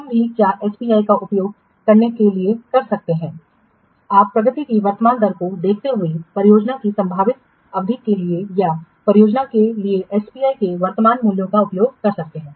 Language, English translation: Hindi, You can also what use SPI to what you can also use the current value of SBI to the or for the project the possible duration to project the possible duration of the project given the current rate of progress